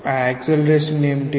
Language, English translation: Telugu, What is the acceleration